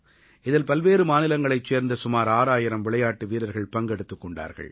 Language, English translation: Tamil, These games had around 6 thousand players from different states participating